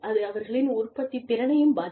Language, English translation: Tamil, And, that in turn, affects their productivity, as well